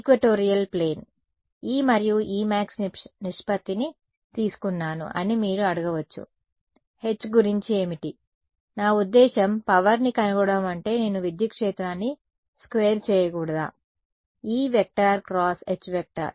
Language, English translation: Telugu, Equatorial plane right; now, you might ask I just took the ratio of E to E max, what about H, I mean to find power I should not just be squaring the electric field right I should do